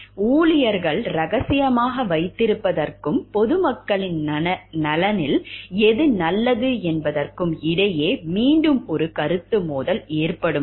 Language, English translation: Tamil, When there is again a conflict of interest between like what the employees are telling to keep secret and what is good in the interest of the public at large